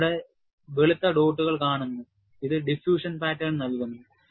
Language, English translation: Malayalam, You see white dots here, which give the diffusion pattern